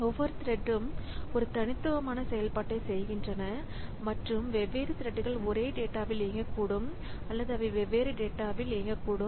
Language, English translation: Tamil, Each thread is performing a unique operation and different threads may be on operating the may be operating on the same data or they may be operating on different data